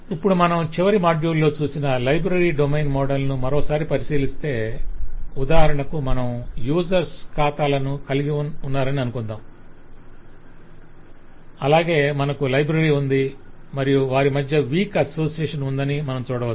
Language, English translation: Telugu, so now if we go back and take a further look again in to the library domain model, which we had seen in the last module as well, we can see, for example, you have accounts of users and we have library and there is weak association between them